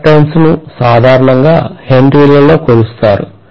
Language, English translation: Telugu, So inductance is here normally measured in Henry